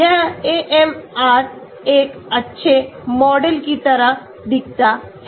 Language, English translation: Hindi, This AMR looks like a good model